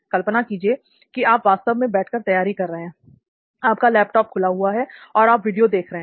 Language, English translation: Hindi, Imagine for the time being that you are actually seating and preparing, you have your laptop open and you are watching videos